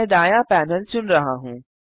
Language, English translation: Hindi, I am choosing the right panel